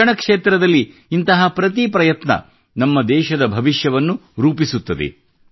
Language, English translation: Kannada, Every such effort in the field of education is going to shape the future of our country